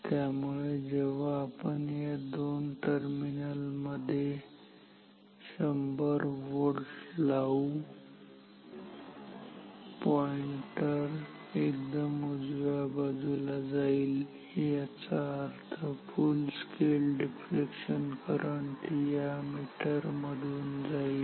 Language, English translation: Marathi, Now, what I want, when this voltage is 10 volt, I want the pointer to go to the extreme right position, that means, full scale deflection current should flow through the meter